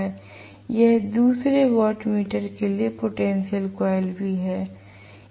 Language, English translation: Hindi, This is also the potential coil for the second watt meter